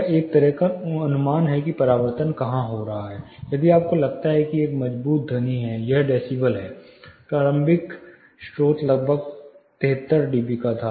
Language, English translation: Hindi, It is kind of an estimate of where the reflection is also happening, say if you feel there is a strong sound, this is decibel the initial source was around 73 db